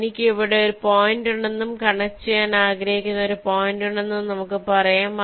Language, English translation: Malayalam, lets say i have a point here and i have a point here which i want to connect